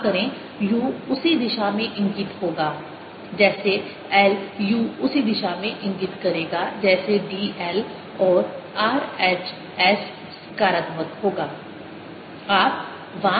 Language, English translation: Hindi, u will be pointing in the same direction as d, l and r, h, s will be positive